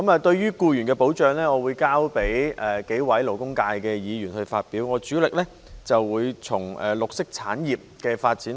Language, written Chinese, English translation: Cantonese, 對於僱員的保障，我會交由幾位勞工界的議員發表意見，我主力討論綠色產業的發展。, As regards the protection of employees I will leave it to several Members from the labour sector to express their views . I focus my discussion on the development of green industries